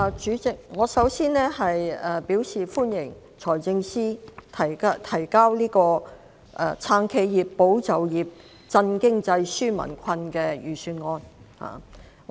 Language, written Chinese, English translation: Cantonese, 主席，我首先對財政司司長提交的"撐企業、保就業、振經濟、紓民困"的財政預算案表示歡迎。, President first of all I welcome the Budget submitted by the Financial Secretary to support enterprises safeguard jobs stimulate the economy and relieve peoples burden